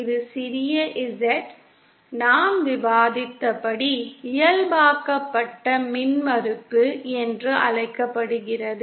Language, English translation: Tamil, Where this small z, as I as we discussed, is called the normalized impedance